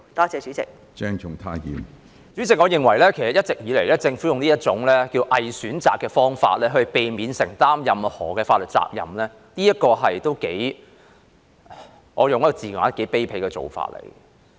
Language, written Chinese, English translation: Cantonese, 主席，我認為政府其實一直以來都用這種"偽選擇"的方式來避免承擔任何法律責任，我會用"頗卑鄙"來形容這做法。, President I think actually the Government has all along been using this pseudo - choice approach to evade legal liabilities and I would say that this is rather despicable